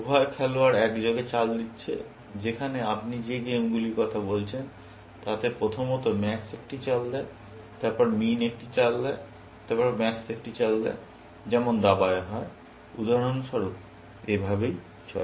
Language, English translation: Bengali, Both the players are making moves simultaneously, whereas, the games you talking about; first max makes a move; then, min makes a move; then, max makes a move, like chess, for example, and so on